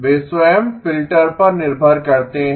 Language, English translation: Hindi, They are dependent on the filter themselves